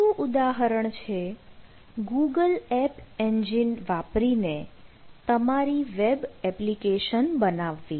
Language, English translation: Gujarati, the second one is building web application using google app engine